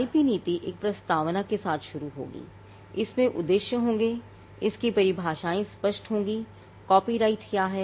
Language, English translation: Hindi, The IP policy will start with a preamble, it will have objectives, it will have definitions clarifying; what is a copyright